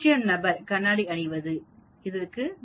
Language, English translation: Tamil, 0 person wearing glasses will be 2